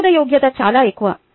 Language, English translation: Telugu, ah acceptability is very high